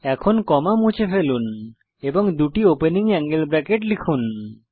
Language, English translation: Bengali, Now delete the comma and type two opening angle brackets